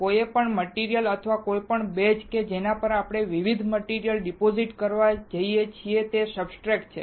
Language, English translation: Gujarati, Any material or any base on which we are going to deposit different materials is a substrate